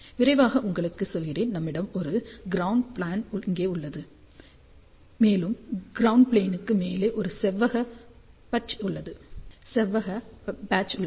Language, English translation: Tamil, So, just to tell you quickly, so what we have here this is a ground plane and this is on top the ground plane or rectangular patch